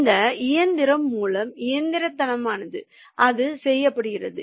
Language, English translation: Tamil, that is that is being done by the mechanical, mechanically, through this machine